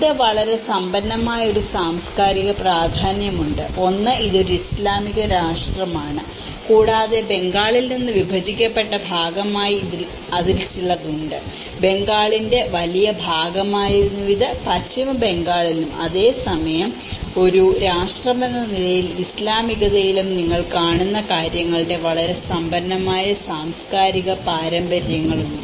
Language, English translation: Malayalam, And it has a very rich cultural importance, one is being an Islamic nation and also partly it has some because it has been splitted from the Bengal; the larger part of the Bengal so, it has a very rich cultural traditions of both what you see in the West Bengal and at the same time as the Islamic as a nation